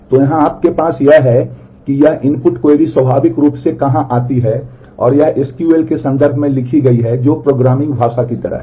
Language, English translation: Hindi, So, here what you have is this is where the input query comes in naturally it is written in terms of a in terms of SQL which is kind of a programming language